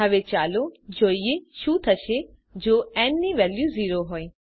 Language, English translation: Gujarati, Now let us see what happens when the value of n is 0